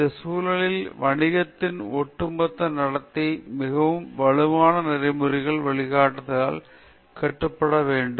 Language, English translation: Tamil, In all these context, the entire conduct of business need to be regulated by very strong ethical guidelines